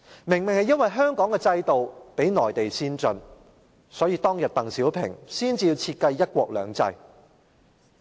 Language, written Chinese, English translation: Cantonese, 正是因為香港的制度較內地先進，所以鄧小平當年才會設計"一國兩制"。, Exactly because the system of Hong Kong is more advanced than that of the Mainland DENG Xiaoping then designed one country two systems